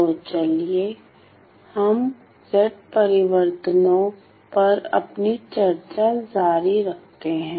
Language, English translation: Hindi, So, let us continue our discussion on Z transforms